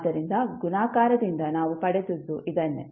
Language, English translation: Kannada, So, this is what we got from the multiplication